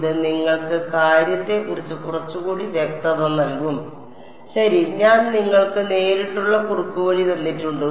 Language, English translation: Malayalam, It will give you a little bit more clarity on the thing ok; I have given you the direct shortcut